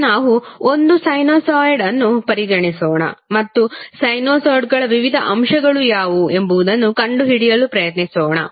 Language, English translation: Kannada, Now let's consider one sinusoid and try to find out what are the various components of the sinusoids